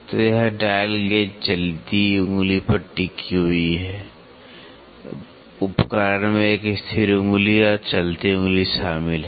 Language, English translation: Hindi, So, this dial gauge is resting on the moving finger, the instrument comprises a fixed finger and the moving finger